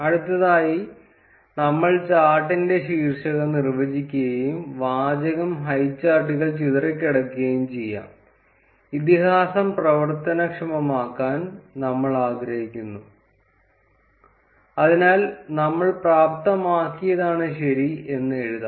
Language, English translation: Malayalam, Next, we would define the title of the chart and the text can be highcharts scatter, we would want to enable the legend, so we would write enabled as true